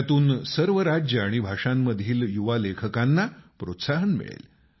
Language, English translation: Marathi, This will encourage young writers of all states and of all languages